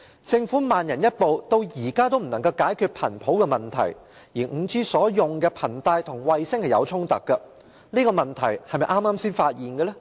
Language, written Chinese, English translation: Cantonese, 政府慢人一步，至今仍未能解決頻譜問題，而 5G 所使用的頻帶與衞星有所衝突，這個問題是否剛剛才發現的呢？, Acting slower than other people the Government is yet to resolve the problem of spectrum . Regarding the clash of bands used by 5G with the satellites is this a newly discovered problem? . No